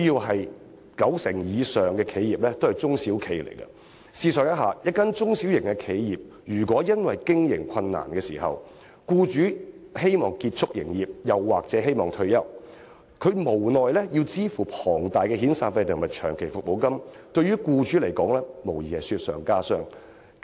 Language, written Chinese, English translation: Cantonese, 香港九成以上的企業都是中小型企業，試想一下，一間中小企因為經營困難，僱主希望結束營業或退休，無奈要支付龐大的遣散費及長期服務金，無疑是雪上加霜。, Over 90 % of enterprises in Hong Kong are small and medium enterprises SMEs . Let us imagine if the owner of an SME wishes to close his business or retire owing to operation difficulties he will have no choice but to pay huge amounts of severance and long service payments which deals a further blow to him